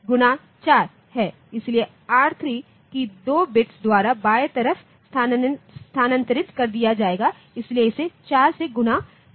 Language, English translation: Hindi, So, R3 will be left shifted by 2 bits, so it will be multiplied by 4